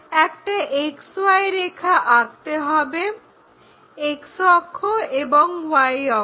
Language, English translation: Bengali, First what we have to do, draw a XY line; X axis Y axis